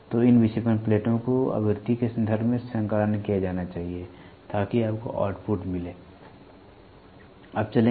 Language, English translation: Hindi, So, these deflecting plates must be synchronized in terms of frequency; so that you get a output